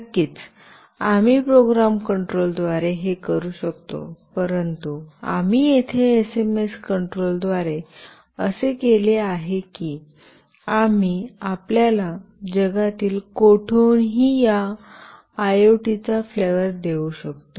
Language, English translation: Marathi, Of course, we can do this using program control, but here we have done through SMS control such that we can give you a flavor of this IoT from anywhere in the world